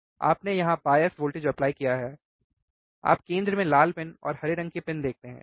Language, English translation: Hindi, You have applied here where are the bias voltage bias voltage is here, you see the red pin and black pin in the center in the center red pin, right in green pin, right